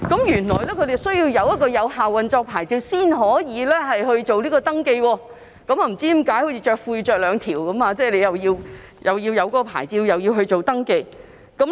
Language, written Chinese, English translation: Cantonese, 原來船隻須領有有效運作牌照才能進行登記，不知道為何要好像穿兩條褲子般，既要領有牌照，又要進行登記。, It turned out that a vessel must possess a valid operating licence before it could be registered . I wonder why it has to both possess a licence and apply for registration as though wearing two pairs of trousers